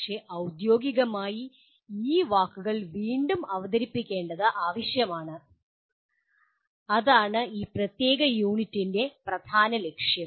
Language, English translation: Malayalam, But, it is necessary to formally get reintroduced to those words and that will be the major goal of this particular unit